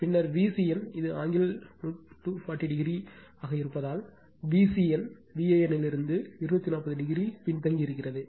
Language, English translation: Tamil, So, this is my V c n this angle is 240 degree so V c n lags from V a n by 240 degree